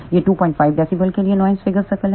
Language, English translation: Hindi, 5 dB noise figure circle